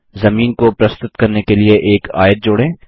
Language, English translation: Hindi, Let us add a rectangle to represent the ground